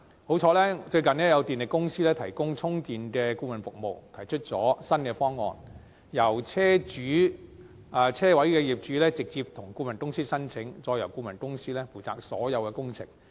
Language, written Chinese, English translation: Cantonese, 幸好，最近有電力公司提供充電的顧問服務，提出新方案，由車位的業主直接向顧問公司申請，再由顧問公司負責所有工程。, Fortunately the electricity company offers consultancy services on charging recently and puts forth new plans allowing the owners of parking spaces to apply to the consultant firm directly and all the works will be undertaken by the consultant firm